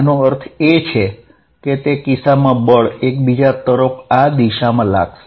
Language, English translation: Gujarati, What that means is, in that case the force is going to be in this direction towards each other